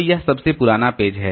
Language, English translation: Hindi, So, this is the oldest page